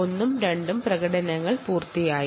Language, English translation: Malayalam, one and two are completed